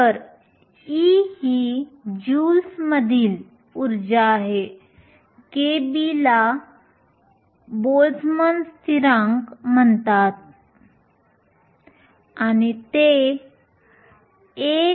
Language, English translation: Marathi, So, e is the energy in joules, k b is called Boltzmann constant and is equal to 1